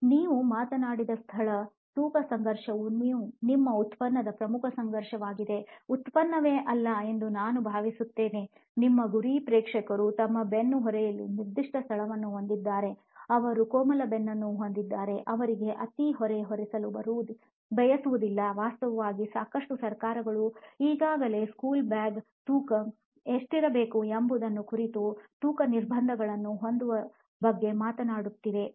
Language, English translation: Kannada, So is the space weight conflict that you talked about I think that is the key conflict in your product, not product itself, your target audience is that they have a certain space in their backpacks, they have tender backs let us say we do not want to overburden them, they do not want the, in fact lots of governments are already talking about having weight restrictions on what the weights of the bag should be, okay